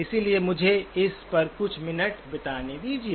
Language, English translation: Hindi, So let me just spend a few minutes on this